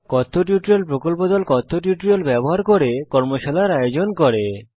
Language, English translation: Bengali, The Spoken Tutorial Team#160:conduct workshops using spoken tutorials